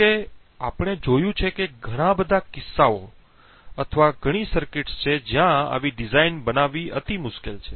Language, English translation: Gujarati, However, as we have seen there are many cases or many circuits where making such designs is incredibly difficult to do